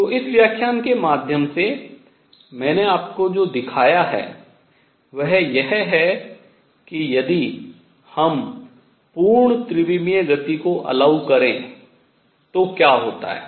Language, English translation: Hindi, So, what I have shown through you through this lecture in this is that if we allow full 3 d motion, what happens